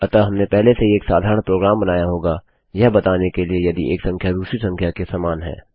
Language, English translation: Hindi, So we would have already created a simple program to tell us if one number equals another